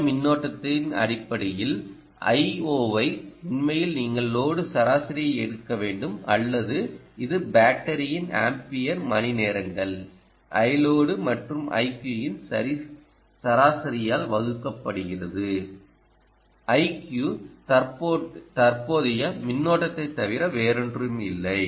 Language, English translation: Tamil, actually you should take the average of the i load, or it can also be capacity of the battery being ampere hours divided by average of i load plus i q, or nothing but the i quiescent current